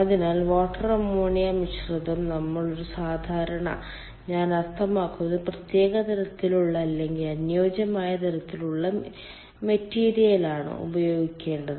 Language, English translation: Malayalam, so water ammonia mixture we have to use typical, i mean special kind of or suitable kind of material